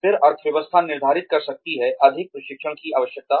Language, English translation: Hindi, Then, the economy could determine, the need for more training